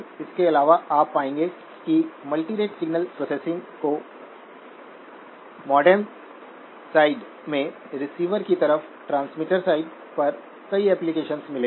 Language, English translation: Hindi, Also you will find that multirate signal processing has got many applications in the modem side, on the receiver side, on the transmitter side